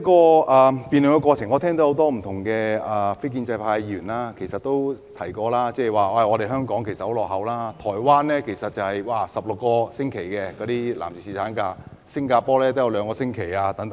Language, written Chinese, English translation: Cantonese, 在辯論過程中，我聽到很多非建制派議員在發言時說香港很落後，因為台灣的男士有16星期的侍產假，新加坡也有兩星期。, During the debate I heard many non - establishment Members mention in their speeches that Hong Kong was lagging far behind because a 16 - week paternity leave was provided in Taiwan while a 2 - week paternity leave was provided in Singapore